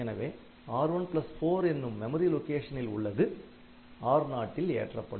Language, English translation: Tamil, So, R0 gets content of memory location R1 plus 4